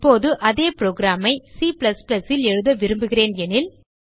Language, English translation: Tamil, Now suppose, I want to write the same program in C++